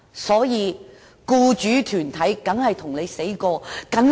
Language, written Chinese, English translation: Cantonese, 因此，僱主團體當然誓死反對。, Thus employer associations will of course fight tooth and nail against the proposal